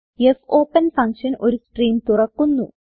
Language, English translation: Malayalam, Here, the fopen function opens a stream